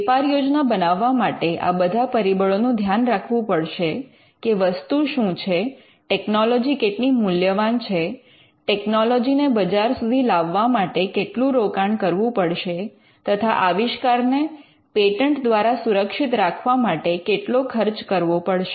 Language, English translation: Gujarati, So, making a business plan would involve considering all these factors; what are the things, how value valuable is the technology, how much money you need to invest to bring the technology out into the market and the amount of expenses that you will incur in protecting the invention by way of patents